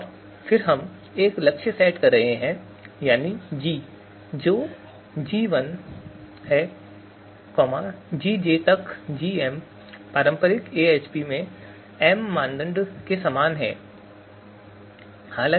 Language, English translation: Hindi, And then we are taking a goal set that is capital G, which is G1, Gj to to Gm similar to m criterion in traditional AHP, right